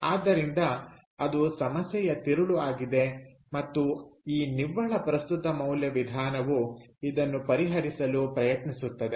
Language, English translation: Kannada, so that is the crux of the problem, and which is something that the net present value method tries to ah address